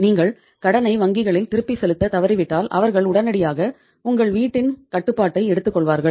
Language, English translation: Tamil, When the moment you default repaying the loan back to the bank they would immediately take the control of your house